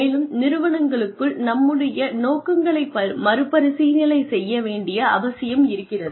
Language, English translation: Tamil, And, within the organizations, there is a need to, maybe, revisit our objectives